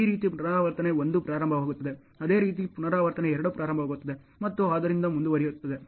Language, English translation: Kannada, Like this the repetition 1 starts, same way repetition 2 will start and so, on ok